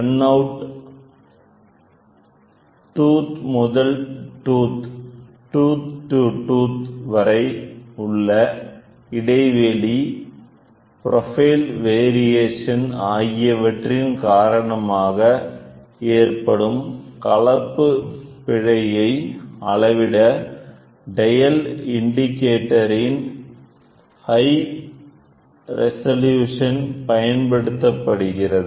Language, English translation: Tamil, The dial indicator of high resolution is used to measure the composite error which reflects the error due to runout, tooth to tooth spacing and profile variations